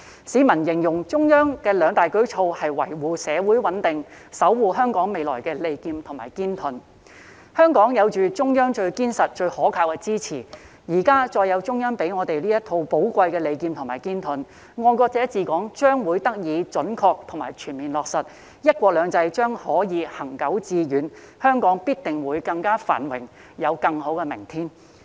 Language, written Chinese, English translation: Cantonese, 市民形容中央的兩大舉措是維護社會穩定、守護香港未來的利劍和堅盾，香港有着中央最堅實、最可靠的支持，再加上現時中央給予這套寶貴的利劍和堅盾，"愛國者治港"將得以準確及全面落實，"一國兩制"將可以行久致遠，香港必定會更加繁榮，有更好的明天。, Hong Kong has the strongest and most reliable support from the Central Authorities . In addition with this valuable set of sword and shield currently provided by the Central Authorities patriots administering Hong Kong will be accurately and fully implemented while one country two systems will remain sustainable and successful . Hong Kong will definitely be more prosperous and have a better future